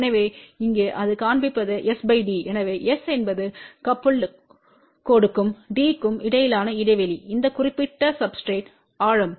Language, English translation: Tamil, So, here what it shows here s by d , so s is the gap between the coupled line and d is taken has depth of this particular substrate